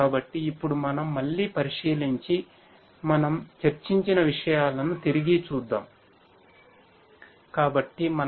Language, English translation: Telugu, So, let us now again take a look and take a recap of what we have discussed